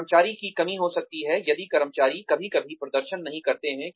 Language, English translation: Hindi, Could be shortcomings of the employee, if the employee, sometimes employees do not perform